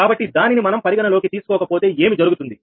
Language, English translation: Telugu, so if, if we do not consider that, then what will happen